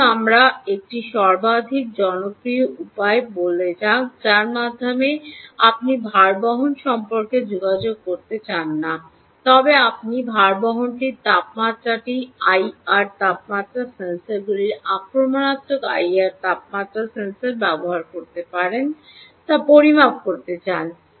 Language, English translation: Bengali, let us look at, let us say, a most popular way by which you dont want to be in contact with the bearing but you want to measure ah, the temperature of the bearing could be using i r temperature sensors, non invasive i r temperature sensor